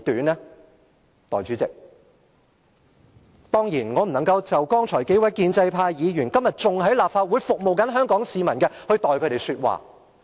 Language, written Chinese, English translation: Cantonese, 代理主席，剛才提到的數位建制派議員，至今仍在立法會服務香港市民，我當然不能代替他們說話。, Deputy President Members from the pro - establishment camp whom I named just now are still serving Hong Kong people in the Legislative Council today and I am of course in no position to speak for them